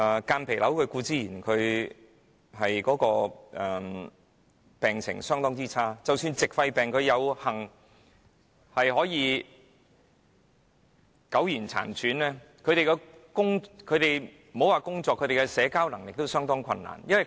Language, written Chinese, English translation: Cantonese, 間皮瘤固然會令病人病情惡化；而即使矽肺病患者有幸苟延殘喘，莫說是工作，他們連社交也相當困難。, The conditions of a patient suffering from mesothelioma will be deteriorating and even if a patient suffering from silicosis can fortunately linger on they can hardly work or have social lives